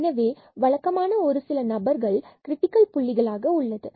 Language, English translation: Tamil, So, usually there are a few candidates as to the critical points